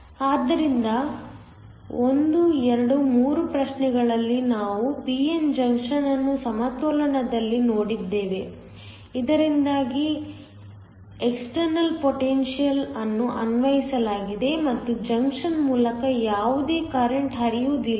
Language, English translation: Kannada, So, In problems 1, 2, 3 we looked at the p n junction in equilibrium, so that there was external potential applied and no current was flowing through the junction